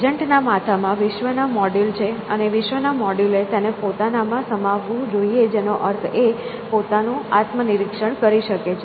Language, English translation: Gujarati, And what is in the head of the agent is the module of the world out there, and the module of the world should contain itself which means it can introspect on itself